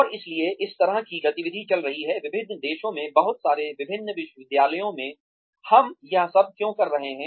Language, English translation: Hindi, And, so, this kind of activity is going on, in a lot of different countries, in a lot of different universities, why are we doing all this